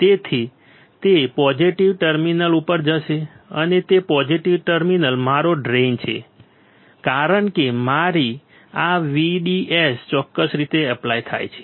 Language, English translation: Gujarati, So, it will go to a positive terminal and that positive terminal is my drain because my VDS is applied in this particular fashion